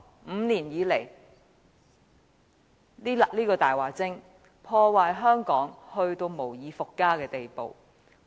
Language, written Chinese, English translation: Cantonese, 五年來，這個"大話精"把香港破壞至無以復加的地步。, Over these five years this liar has caused the worst damage to Hong Kong